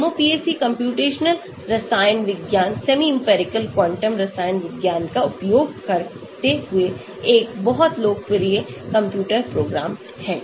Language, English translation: Hindi, MOPAC is a very popular computer program using computational chemistry, semi empirical quantum chemistry